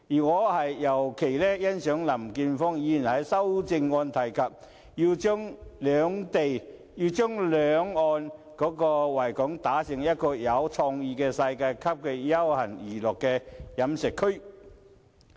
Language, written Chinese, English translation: Cantonese, 我尤其欣賞林健鋒議員在修正案提及，要將維港兩岸打造成有創意的世界級休閒娛樂飲食區。, I particularly appreciate the idea proposed by Mr Jeffrey LAM in his amendment on developing both sides of the Victoria Harbour into a creative world - class leisure recreational and dining district